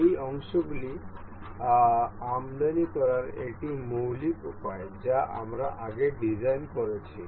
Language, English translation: Bengali, This is the basic way to import these parts that we have designed earlier